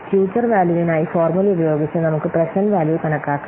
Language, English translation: Malayalam, We can compute the present value by using the formula for the future value